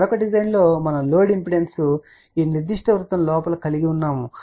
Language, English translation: Telugu, In the another design we had to the load impedance inside this particular circle